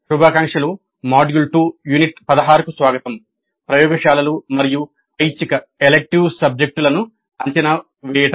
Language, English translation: Telugu, Greetings, welcome to module 2, unit 16 evaluating laboratory and electives